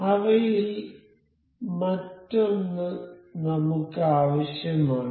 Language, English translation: Malayalam, So, we need another of those